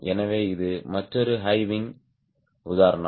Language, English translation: Tamil, so this is another high wing example